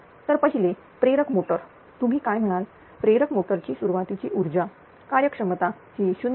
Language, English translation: Marathi, So, first is the induction motor of the your what do you call input power of the induction motor efficiency is given 0